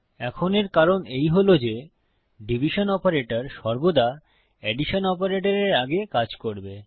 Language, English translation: Bengali, Now, the reason for this is that division operator will always work before addition operator